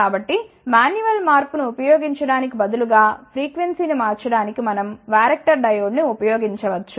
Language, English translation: Telugu, So, instead of using manual changing we can use varactor diode for changing the frequency